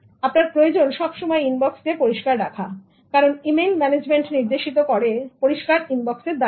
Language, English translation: Bengali, You need to keep the inbox clear because efficient email management is indicated by a clear inbox